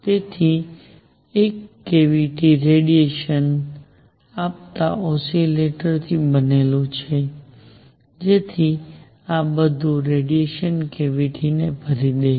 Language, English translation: Gujarati, So, a cavity is made up of oscillators giving out radiation, so that all this radiation fills up the cavity